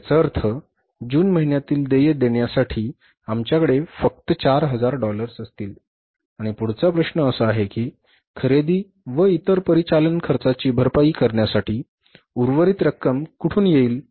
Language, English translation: Marathi, It means for making the payments in the month of June we will have with us only $400,000 and the next question is from where the remaining amount will come for making the payment for purchases and other operating expenses